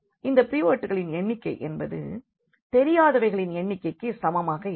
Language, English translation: Tamil, So, the number of pivots here is equal to number of unknowns